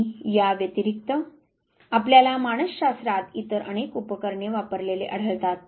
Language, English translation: Marathi, And besides this you find whole lot of apparatus being used in psychology